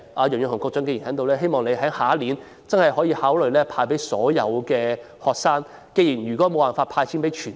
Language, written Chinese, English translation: Cantonese, 楊潤雄局長現時在席，希望他下年度能夠考慮向所有學生派發津貼。, Secretary Kevin YEUNG is now here and I hope that he will consider granting allowances to all students next year